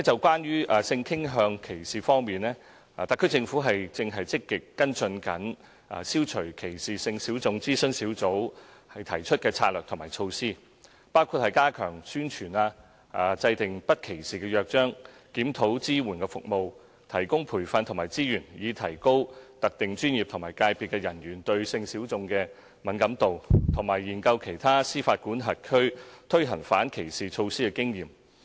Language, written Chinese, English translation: Cantonese, 關於性傾向歧視方面，特區政府正積極跟進"消除歧視性小眾諮詢小組"提出的策略及措施，包括加強宣傳、制訂不歧視約章、檢討支援服務、提供培訓和資源以提高特定專業及界別的人員對性小眾的敏感度，以及研究其他司法管轄區推行反歧視措施的經驗。, Regarding discrimination on the ground of sexual orientation the SAR Government is proactively following up the strategies and measures proposed by the Advisory Group on Eliminating Discrimination against Sexual Minorities including stepping up publicity formulating a charter on non - discrimination reviewing the support services providing training and resources to raise the sensitivity of personnel in specific professions and sectors towards sexual minorities and studying the experience of other jurisdictions in implementing anti - discrimination measures